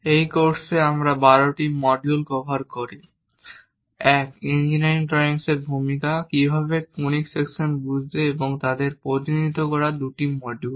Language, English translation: Bengali, In this course, in total we cover 12 modules, 1 introduction to engineering drawings, 2 how to understand conic sections and representing them